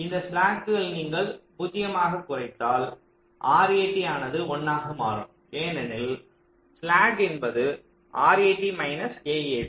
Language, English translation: Tamil, if you decrease this slack to zero, this r a t will also become one, because r a t minus a a t is slack